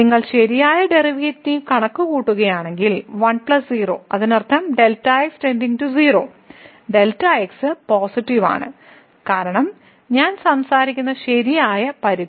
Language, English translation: Malayalam, So, if you compute the right derivative so, 1 plus 0; that means, the goes to 0 and is positive because the right limit I am talking about